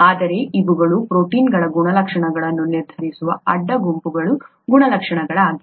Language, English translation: Kannada, But these are the properties of the side groups that determine the properties of the proteins themselves